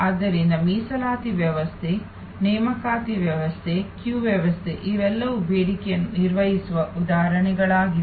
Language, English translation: Kannada, So, reservation system, appointment system, queue system these are all examples of managing demand